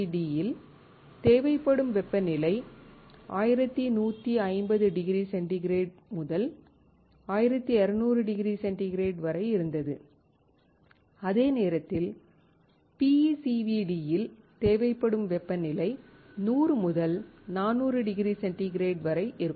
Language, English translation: Tamil, The temperature required in LPCVD was 1150 degree centigrade to 1200 degree centigrade, while the temperature required in PECVD ranges between 100 and 400 degree centigrade